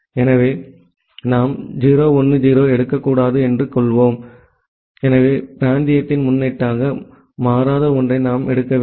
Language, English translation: Tamil, So, we should not take 0 1 0, so we should take something which is not becoming a prefix of the regional one